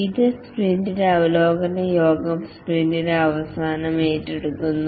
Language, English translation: Malayalam, The sprint review meeting, this is undertaken at the end of the sprint